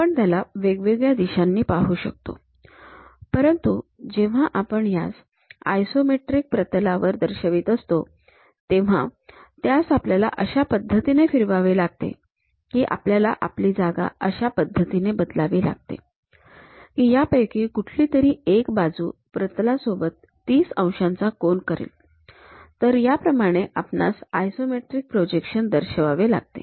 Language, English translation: Marathi, We can view it in different directions; but when we are representing it in isometric plane, we have to rotate in such a way that or we have to shift our position in such a way that, one of these principal edges makes 30 degrees angle with the plane, that is the way we have to represent any isometric projections